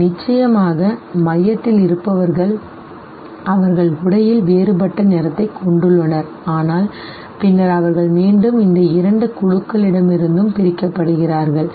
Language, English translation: Tamil, Those in the center, of course they have a different color of the costume, but then they are again separated from these two groups